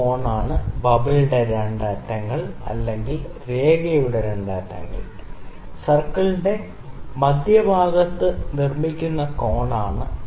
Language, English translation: Malayalam, This angle is the angle that the 2 ends of the bubble 2 ends of the line make with the centre of the circle